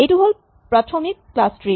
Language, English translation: Assamese, Here is the basic class tree